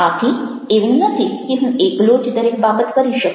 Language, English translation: Gujarati, so it is not that i can do alone everything